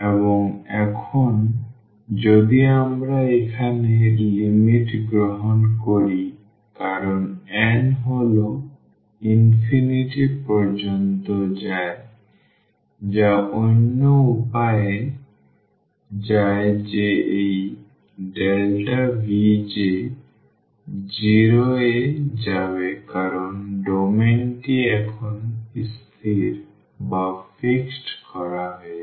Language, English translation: Bengali, And, now if we take the limit here as n goes to infinity or other way around that this delta V j we will go to 0 because the domain is fixed now